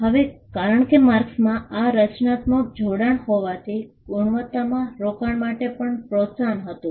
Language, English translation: Gujarati, Now, because marks can have this creative association, there was an incentive to invest in quality